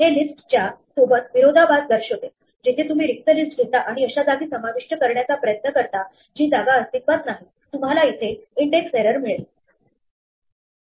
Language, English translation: Marathi, This is in contrast with the list, where if you have an empty list and then try to insert at a position which does not exist, you get an index error